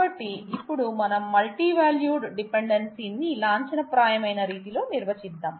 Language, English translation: Telugu, So now, let us define multivalued dependency in a formal way and